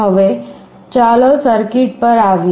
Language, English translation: Gujarati, Now, let us come to the circuit